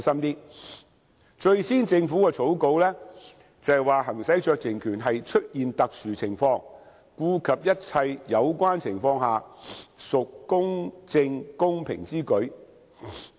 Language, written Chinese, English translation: Cantonese, 根據政府最初的草稿，行使酌情權是："出現特殊情況……顧及一切有關情況下，屬公正公平之舉"。, In the Governments first draft it was stipulated that a discretion might be exercised if there is an exceptional case it is just and equitable to do so having regard to all the relevant circumstances